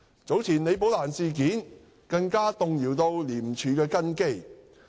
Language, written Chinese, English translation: Cantonese, 早前李寶蘭事件更動搖廉署的根基。, The case of Rebecca LI some time ago has even shaken the foundation of ICAC